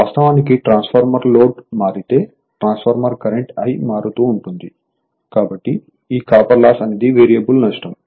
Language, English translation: Telugu, So, actually transformer if load varies transformer current I varies, therefore, this copper loss is a variable loss right